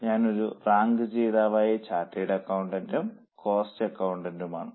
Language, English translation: Malayalam, I am a rank holder, chartered accountant and cost accountant